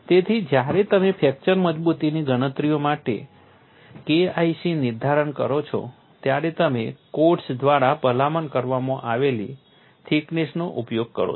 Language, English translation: Gujarati, So, when you do K 1c determination for fracture toughness calculations, you use the thickness recommended by the codes